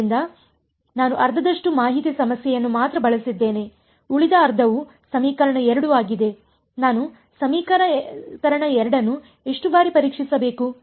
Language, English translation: Kannada, So, then, but I have used only half the information problem the other half is equation 2; equation 2 how many times should I test